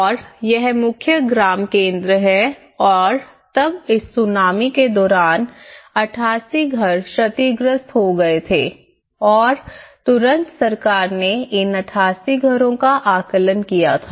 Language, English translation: Hindi, And this is the main village centre and then 88 houses were damaged during this Tsunami and immediately the government have done the assessment of these 88 houses